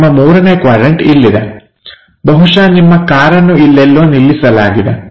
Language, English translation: Kannada, Your 1st quadrant is here, your 3rd quadrant is here, perhaps your car is located somewhere there